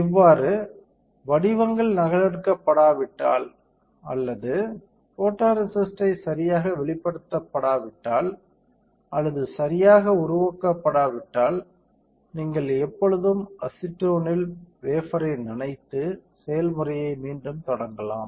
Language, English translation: Tamil, Thus, if the patterns are not replicated or the photoresist is not exposed or developed correctly, you always have a chance of dipping the wafer in acetone and restart the process